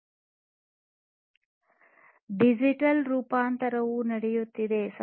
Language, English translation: Kannada, This digital transformation has been happening